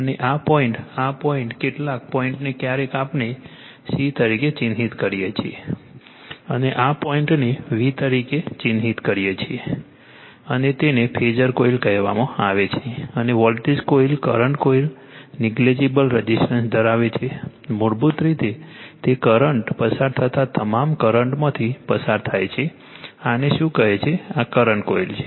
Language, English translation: Gujarati, And this point this point some , this point sometimes we mark c and this point marks as v and this is called phasor coil and voltage coil current coil has negligible resistance ; basically, it to , current passing through all the current passing through this your what you call ,your, this is the current coil